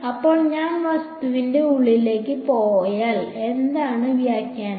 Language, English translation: Malayalam, So, if I go inside the object what is the interpretation